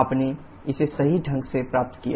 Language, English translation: Hindi, You got it correctly